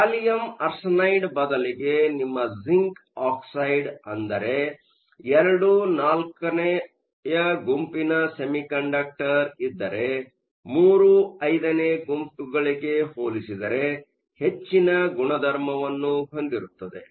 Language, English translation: Kannada, Instead of gallium arsenide, if you have something like zinc oxide which is II VI semiconductor, there will be a higher character as compare to III V